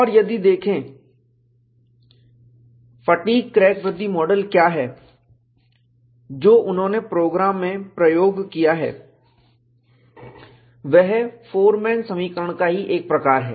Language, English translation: Hindi, And if you look at, what is the fatigue crack growth model, that they have used, in the program, is a variation of the Forman equation